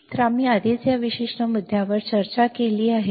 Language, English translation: Marathi, So, we have already discussed this particular point